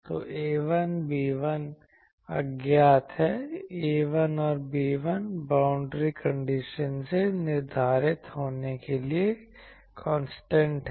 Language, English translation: Hindi, So, A1, B1 are unknowns so, A 1 and B1 are constants to be determined form boundary conditions